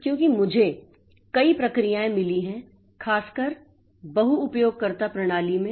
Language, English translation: Hindi, So, this is very, very important because I have got multiple processes for particularly in multi user system